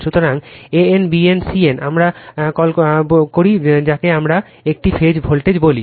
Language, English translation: Bengali, So, a n, b n, c n, we call we will come to that we call it is a phase voltage